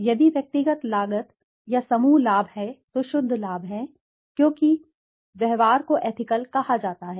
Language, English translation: Hindi, If there are individual costs or group benefits then there are net gains because and the behavior is said to be ethical